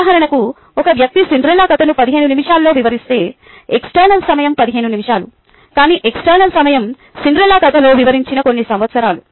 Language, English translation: Telugu, for example, if a person narrates the cinderellas story in fifteen minutes, the external time is fifteen minutes, but the internal time its a few years over which a cinderellas story is set